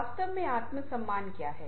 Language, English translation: Hindi, what exactly self esteem